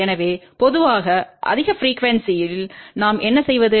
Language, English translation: Tamil, So, generally what do we do at higher frequency